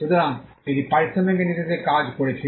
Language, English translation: Bengali, So, it worked on the principle of reciprocity